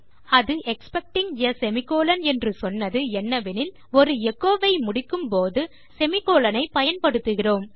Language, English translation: Tamil, But what it was saying about expecting a semicolon was that when we end an echo, we use a semicolon